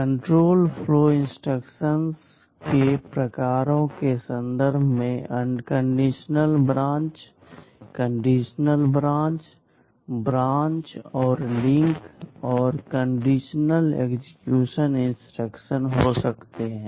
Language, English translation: Hindi, In terms of the types of control flow instructions, there can be unconditional branch, conditional branch, branch and link, and conditional execution instructions